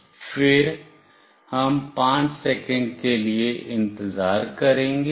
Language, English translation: Hindi, Then we will wait for 5 seconds